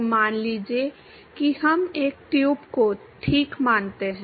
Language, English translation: Hindi, So, suppose let us consider a tube ok